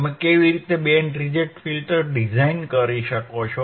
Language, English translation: Gujarati, How you can design the band reject filter